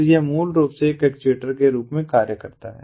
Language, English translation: Hindi, so this basically acts as an actuator